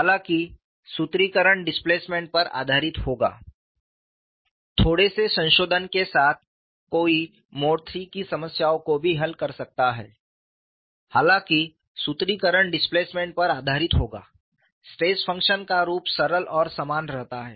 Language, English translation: Hindi, Though the formulation would be based on displacement, the form of the stress function remains simple and same only